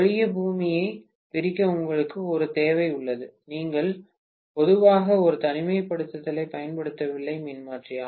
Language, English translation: Tamil, Unless you have a requirement to separate the earth, you generally do not use an isolation transformer